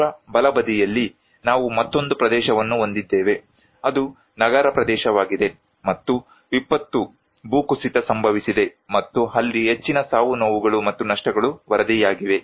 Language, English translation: Kannada, In the extreme right, we have another one which is an urban area and disaster landslide took place and more casualty and losses are reported